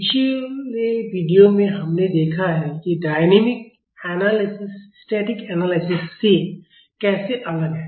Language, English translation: Hindi, In the previous video, we have seen how dynamic analysis is different from static analysis